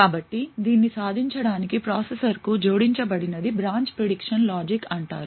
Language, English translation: Telugu, So, in order to achieve this What is added to the processor is something known as a branch prediction logic